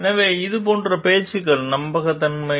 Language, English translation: Tamil, So, these talks of like: trustworthiness